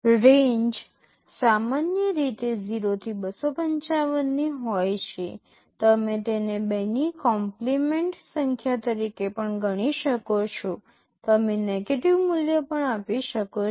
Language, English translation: Gujarati, The range is typically 0 to 255, you can also regard it as a 2’s complement number you can give a negative value also